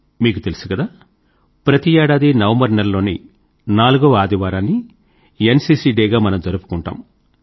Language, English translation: Telugu, As you know, every year, the fourth Sunday of the month of November is celebrated as NCC Day